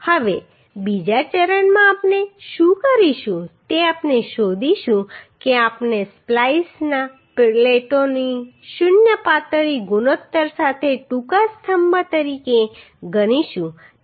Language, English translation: Gujarati, Now in second step what we will do we will find out the means we will consider the splice plates to be a short columns with zero slenderness ratio